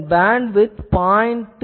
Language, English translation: Tamil, Its bandwidth it is 0